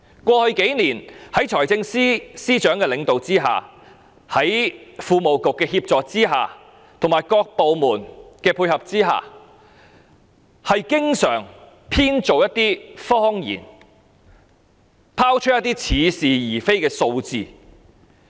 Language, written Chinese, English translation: Cantonese, 過去數年，在財經事務及庫務局的協助和各部門的配合下，財政司司長經常編造一些謊言，拋出一些似是而非的數字。, Over the past few years with the assistance of the Financial Services and the Treasury Bureau and the support of various departments the Financial Secretary always made up lies and told us some unspecific figures